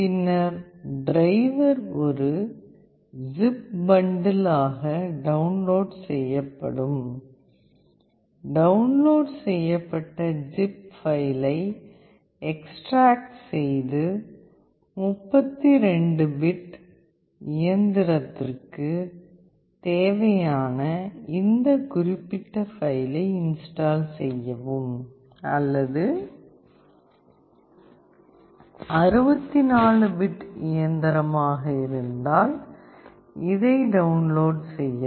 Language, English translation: Tamil, Then the driver will be downloaded as a zip bundle, extract the downloaded zip file and install this particular file for 32 bit machine, or if it is 64 bit machine then download this one